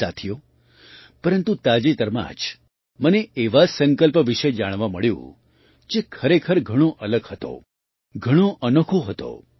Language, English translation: Gujarati, Friends, recently, I came to know about such a resolve, which was really different, very unique